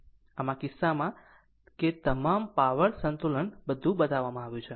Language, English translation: Gujarati, So, in this case that all power balance everything is shown